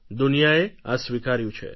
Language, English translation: Gujarati, The world has accepted this